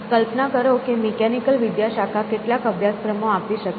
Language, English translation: Gujarati, Imagine mechanical department may be offering some courses